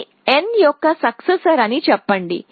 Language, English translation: Telugu, So, let us say these are the successors of n